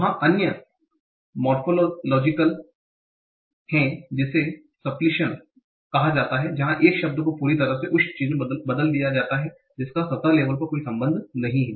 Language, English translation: Hindi, There are other morphological processes like supplicion where a word is completely replaced by something that has no connection at the surface level